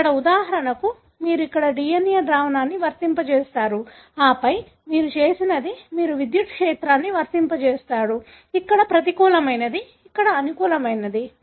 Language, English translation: Telugu, Here for example, you have applied the DNA solution here and then what you did is that you have applied electric field, here is negative, here is positive